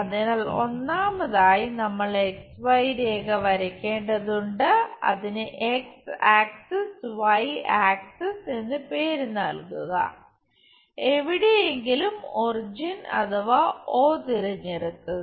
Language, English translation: Malayalam, So, first of all we have to draw XY line, name it X axis, Y axis somewhere origin pick it O